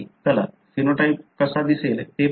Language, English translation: Marathi, Let’s look into how the genotype would look like